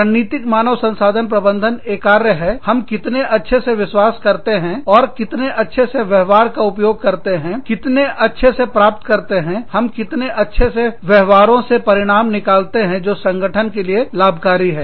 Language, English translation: Hindi, Strategic human resource management, is more a function of, how well, we bank on, and how well, we use the behaviors, how well, we elicit, how well, we takeout, bring out those behaviors, that are beneficial to the organization